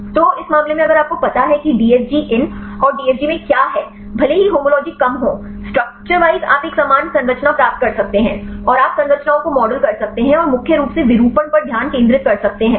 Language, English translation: Hindi, So, in this case if you know the conformation DFG in and DFG out; even if the homology is less, structurewise you can get a similar structures and you can model the structures and mainly focus on the conformation